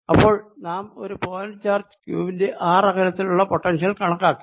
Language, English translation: Malayalam, so we have calculated potential due to a point charge q at a distance r from it